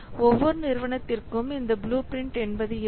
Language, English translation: Tamil, Every organization they have a blueprint